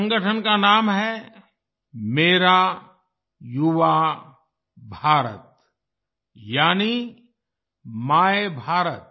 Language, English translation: Hindi, The name of this organization is Mera Yuva Bharat, i